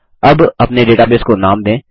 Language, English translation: Hindi, Now, lets name our database